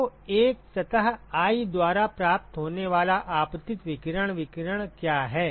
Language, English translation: Hindi, So, what is the incident radiation irradiation that is received by a surface i